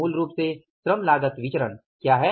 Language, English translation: Hindi, First is the labor cost variance